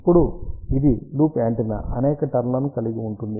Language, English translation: Telugu, Now, one it is a loop antenna can have number of turns